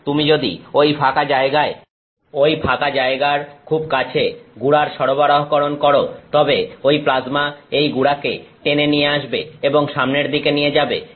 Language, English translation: Bengali, And, if you provide supply of powder at that opening very close to that opening that plasma pulls that powder along with it and moves forward